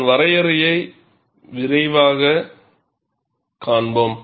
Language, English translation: Tamil, We will quickly see it is definition